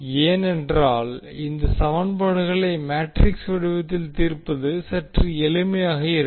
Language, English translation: Tamil, Why we are compiling in metrics form because solving equation in matrix form is easier